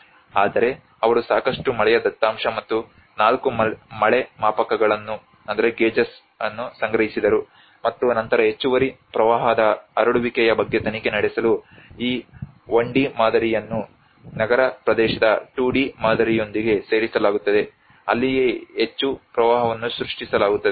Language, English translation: Kannada, But they also collected lot of rainfall data and 4 rain gauges and then this 1D model is coupled with a 2D model of the urban area to investigate the propagation of excess flood offered that is where how much an inundation is created